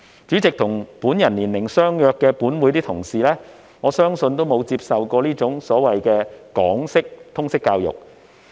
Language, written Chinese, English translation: Cantonese, 主席，我相信本會內與我年齡相若的同事，均沒有接受這種港式通識教育。, President I believe in this Council colleagues of similar age with me have not studied this Hong Kong - style LS